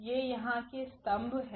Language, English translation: Hindi, These are the precisely the columns here